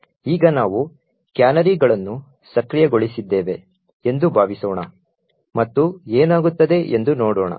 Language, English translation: Kannada, Now suppose we enable canaries let’s see what would happen